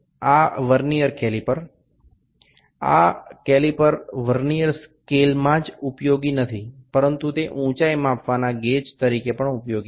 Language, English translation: Gujarati, This Vernier caliper, the Vernier scale is not only used in the calipers, it can also be used in height gauge